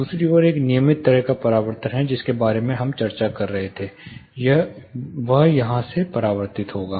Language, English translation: Hindi, On the other hand a regular kind of a reflection we were talking about would be reflected from here, reflected from here